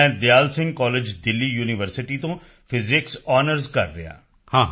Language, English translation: Punjabi, I am doing Physics Honours from Dayal Singh College, Delhi University